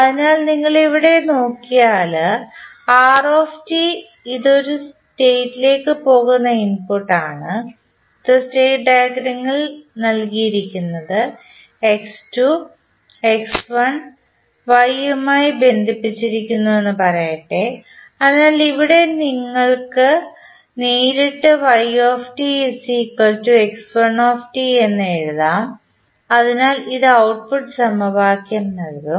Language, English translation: Malayalam, So, if you see here r is the input it is going into the state let say this is the x2 dot given in the state diagram x1 is connected to y, so from here you can straight away say that y is nothing but equal to x1 t, so this will give you the output equation